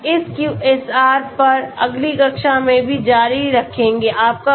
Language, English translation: Hindi, We will continue more on this QSAR in the next class as well